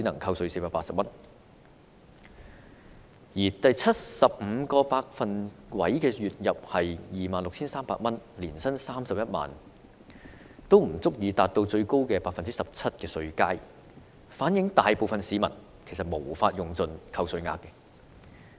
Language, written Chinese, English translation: Cantonese, 港人月入的第七十五個百分位數是 26,300 元，即年薪31萬元，但也不足以達到最高的 17% 稅階，反映大部分市民無法用盡扣稅額。, Even for those whose wages stand at the 75 percentile which is 26,300 per month or 310,000 per year they are not in the highest tax band of 17 % . In other words most of the people will not be entitled to the maximum amount of tax deduction